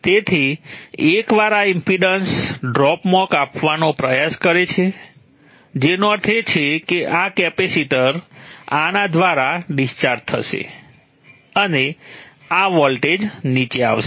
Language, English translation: Gujarati, So once this tries to cut in this impedance drops which means this capacitor will discharge through this and this voltage will come down